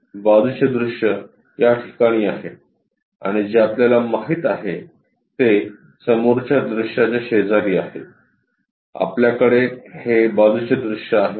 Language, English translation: Marathi, Side view is on this side and what we know is next to front view, we will be having this side view